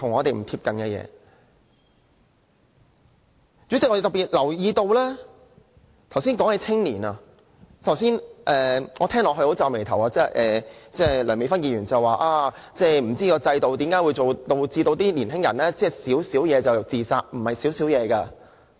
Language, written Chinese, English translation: Cantonese, 代理主席，我特別留意到剛才有議員談及青年問題，我聽到皺眉，梁美芬議員說不知道為何制度會導致年輕人"小小事"便自殺。, Deputy President I particularly notice that some Members talked about the youth problem just now . I was upset when I heard Dr Priscilla LEUNG say that she did not understand why the system would make young people commit suicide for trivial matters